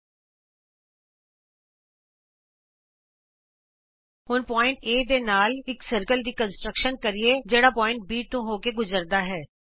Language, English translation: Punjabi, Let us now construct a circle with center A and which passes through point B